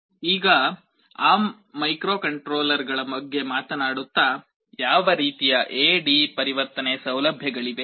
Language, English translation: Kannada, Now, talking about the ARM microcontrollers, what kind of A/D conversion facilities are there